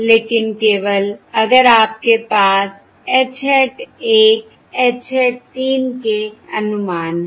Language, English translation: Hindi, this is the value of your H hat 1 and this is the value of H hat 2